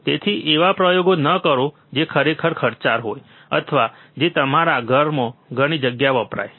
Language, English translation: Gujarati, So, do not do experiments are really costly or which consumes lot of space in your home